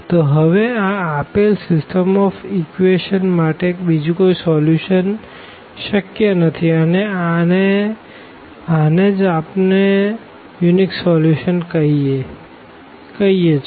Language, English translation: Gujarati, So, there is no other possibility to have a solution for this given system of equations and this is what we call the case of a unique solution